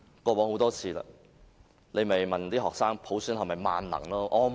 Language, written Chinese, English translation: Cantonese, 過往很多次了，政府只是問學生普選是否萬能？, Well we have found many times that the Government will only students to think about whether universal suffrage is almighty